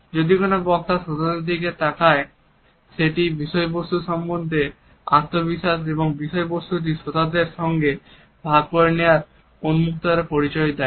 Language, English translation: Bengali, If a speaker looks at the audience it suggest confidence with the content as well as an openness to share the content with the audience